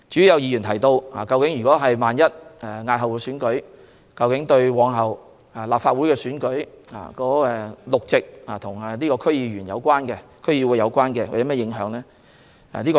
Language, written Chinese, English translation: Cantonese, 有議員提到，如要押後選舉，對日後的立法會選舉中與區議會有關的6個議席有何影響？, Some Members asked how the six DC - related seats in the future Legislative Council election would be affected if the Election was postponed